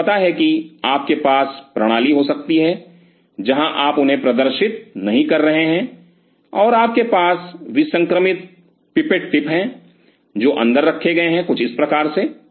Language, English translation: Hindi, You know you can have system where you are not exposing them out and you have a sterilized pipette tips, which are kept inside something like this